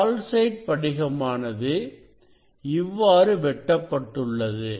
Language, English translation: Tamil, this is the calcite crystal; this is the calcite crystal